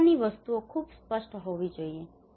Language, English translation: Gujarati, This kind of things should be very clear